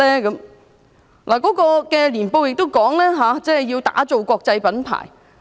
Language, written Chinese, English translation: Cantonese, 港鐵公司的年報亦指出，要打造國際品牌。, The annual report of MTRCL also stated that the company has to build a global brand